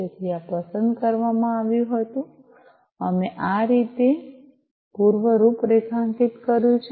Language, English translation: Gujarati, So, this was selected, right, so this we have pre configured this way